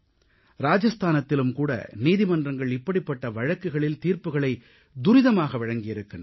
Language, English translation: Tamil, Courts in Rajasthan have also taken similar quick decisions